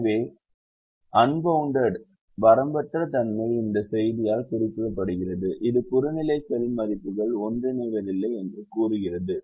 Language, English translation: Tamil, so unboundedness is indicated by this message which says the objective cell values do not converge